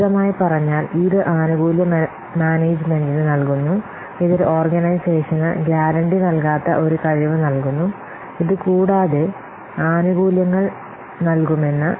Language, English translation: Malayalam, This provides the benefits management, it provides an organization with a capability that does not guarantee that this will provide benefits emphasized